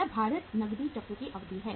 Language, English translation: Hindi, Now we calculate the duration of the weighted cash cycle